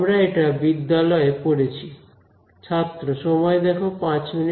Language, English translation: Bengali, We have studied in school